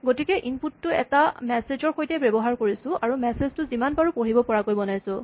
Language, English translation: Assamese, So, you can use input with a message and make the message as readable as you can